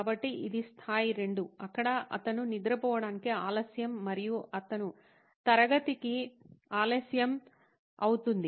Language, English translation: Telugu, So this is the level 2 where he is late to go to sleep and he is late to class